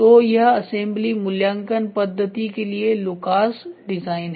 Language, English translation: Hindi, So, this is Lucas design for assembly evaluation method